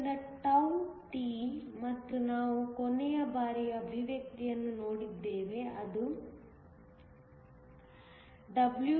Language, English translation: Kannada, So, τt and we saw the expression last time is nothing but WB22De